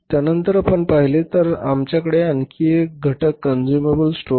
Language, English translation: Marathi, After that if you see then we have only one more item consumable stores